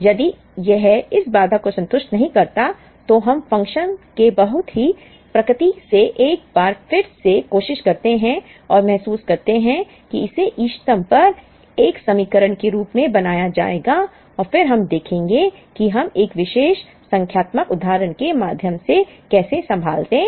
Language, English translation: Hindi, If it is does not satisfies this constraint, we try and realize once again from the very nature of the function that, it will be made as an equation at the optimum and then we will see how we handle that through a particular numerical example